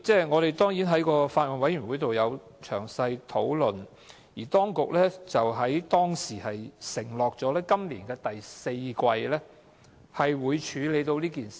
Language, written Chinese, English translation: Cantonese, 我們曾在小組委員會詳細討論此事，當局當時承諾會在今年第四季會處理。, This issue was discussed by the Subcommittee in detail and the authorities at that time promised to deal with it in the fourth quarter of this year